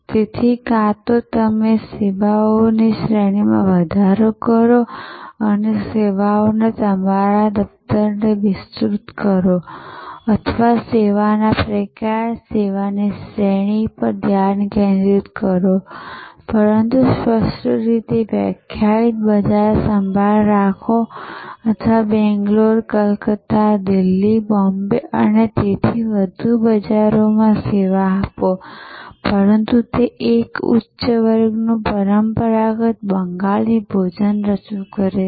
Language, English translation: Gujarati, So, either expand on range of services, expand your portfolio of services or remain focused on a type of service, range of service, but crisply defined market eye care or serve many markets Bangalore, Calcutta, Delhi, Bombay and so on, but have one offering high class traditional Bengali cuisine